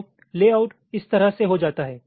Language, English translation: Hindi, so layout becomes like this